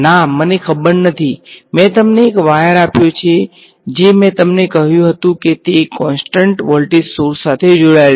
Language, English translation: Gujarati, I do not know right, I gave you a wire all I told you whether it is connected to a constant voltage source